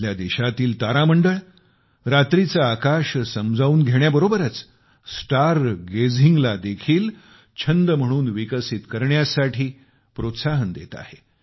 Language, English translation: Marathi, The planetariums in our country, in addition to increasing the understanding of the night sky, also motivate people to develop star gazing as a hobby